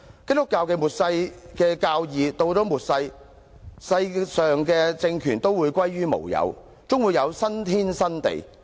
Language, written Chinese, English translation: Cantonese, 基督教有末世的教義，到了末世，世界上的政權都會歸於無有，終會有新天新地。, In Christianity there is the doctrine of Armageddon . At Armageddon all regimes on earth will come to nought and eventually there will be a new heaven and a new earth